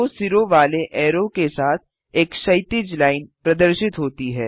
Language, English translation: Hindi, A horizontal line appears along with the double headed arrow